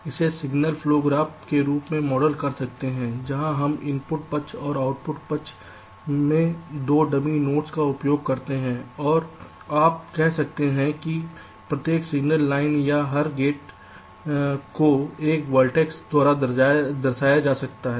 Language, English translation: Hindi, so we can model this as a signal flow graph where we use two dummy notes in the input side and the output side, and every, you can say every signal line or every gate can be represented by a verdicts